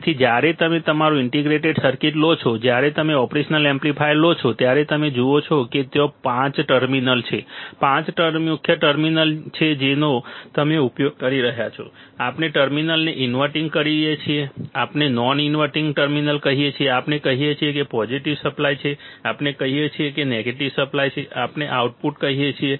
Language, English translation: Gujarati, So, when you take our integrated circuit, when you take an operational amplifier, what you see do you see that there are five terminals, five main terminals what you will be using, we say inverting terminal, we say non inverting terminal, we say positive supply, we say negative supply, we say output